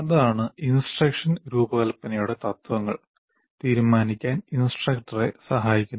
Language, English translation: Malayalam, So that is what the principles of instructional design will help the instructor to decide on this